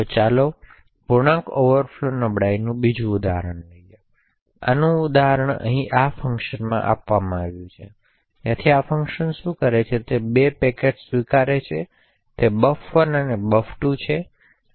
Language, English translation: Gujarati, So let us look at another example of the integer overflow vulnerability due to sign in a network process or daemon, so an example of this is given in this function over here so what this function does is that it accepts 2 packets 1 is buffer1 and buffer2